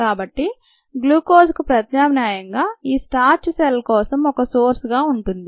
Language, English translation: Telugu, then glucose, and therefore starch, can be a source of glucose for the cells